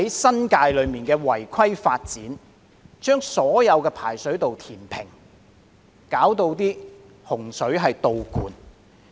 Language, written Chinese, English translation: Cantonese, 新界一些違規發展把所有排水道填平，導致洪水倒灌。, Some unauthorized developments in the New Territories filled up drainage channels causing floodwater to flow backwards